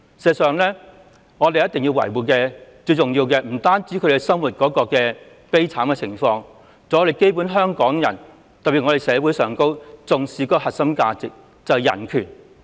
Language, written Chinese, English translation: Cantonese, 事實上，我們要維護的，不單是聲請人生活狀況，還有香港人的生活狀況，特別是社會上重視的核心價值——人權。, In fact what we need to safeguard are not only the living conditions of the claimants but also the living conditions of Hong Kong people especially the core value highly regarded in society―human rights